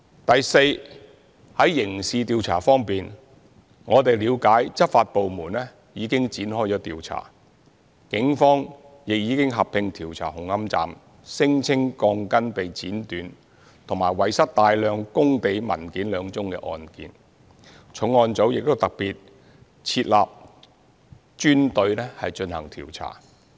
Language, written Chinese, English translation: Cantonese, 第四，在刑事調查方面，我們了解執法部門已展開調查，警方亦已合併調查紅磡站聲稱鋼筋被剪短及遺失大量工地文件兩宗案件，重案組亦特別設立專隊進行調查。, Fourth as regards criminal investigation we understand that the law enforcement agencies have commenced the investigation . The Police have proceeded with a consolidated investigation into the alleged cutting of rebars and loss of a large quantity of site documentation at Hung Hom Station with a special team set up under the regional crime unit dedicated to the investigation